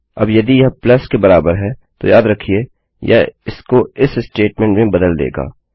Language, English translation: Hindi, Now if it equals to a plus, remember that it switches over to this statement